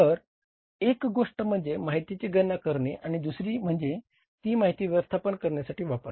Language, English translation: Marathi, So, one thing is calculating the information and second thing is using that information for the management decision making